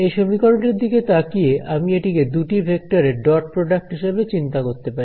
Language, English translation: Bengali, So, if I look at this expression over here, I can think of it as the dot product between two vectors right